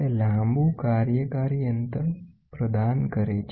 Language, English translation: Gujarati, It provides a long vertical working distance